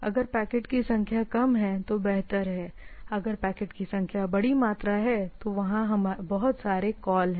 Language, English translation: Hindi, Better if the number of packets is less, if huge volume of packets are there then there are lot of calls there